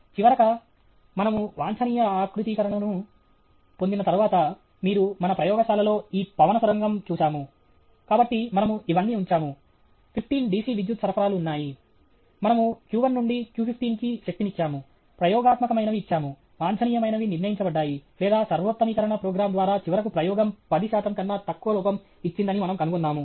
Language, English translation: Telugu, Finally, after we obtain the optimum configuration, you have seen this wind tunnel in our laboratory, so we put that all this there are 15 DC power supplies we energize q1 to q15, gave what was experimentally, what was determined by the optimum or by the optimization program, and we figured out, that finally, the experiment gave less than 10 percent error